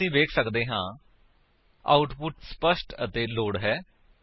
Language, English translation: Punjabi, Now we can see the output is clear and as expected